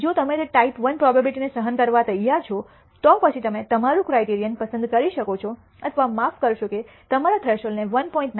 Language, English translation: Gujarati, If you are willing to tolerate that type I error probability then you can choose your criterion or your I am sorry your threshold as 1